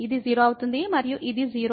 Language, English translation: Telugu, So, this will become 0 and this is 0